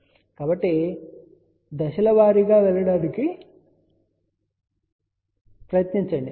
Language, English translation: Telugu, So, try to go step by step process